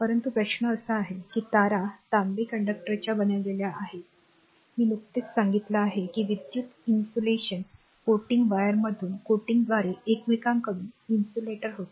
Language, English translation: Marathi, And, but question is the wires are of made of copper conductor I just told you and had insulator from one another by electrical insulation coating the your coating the wire that you have seen that you have seen